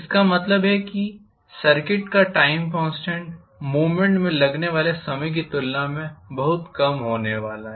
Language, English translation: Hindi, That means the time constant of the circuit is going to be much smaller than the time taken for the movement